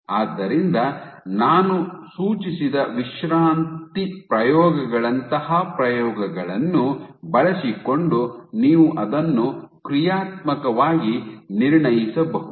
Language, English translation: Kannada, So, you can assess it functionally using experiments like the relaxation experiments that I suggested